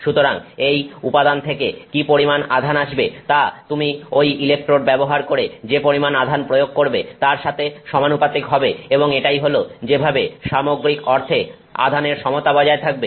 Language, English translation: Bengali, So, what is coming from that material will be in proportion to what you are applying using those electrodes and that's how the overall charge neutrality gets maintained